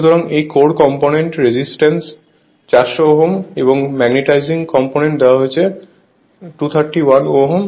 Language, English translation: Bengali, So, this core less component resistance is given 400 ohm and magnetising component it is given 231 ohm this is the current I 0